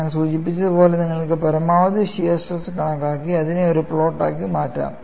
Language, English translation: Malayalam, As I mentioned, you could calculate maximum shear stress and make it as a plot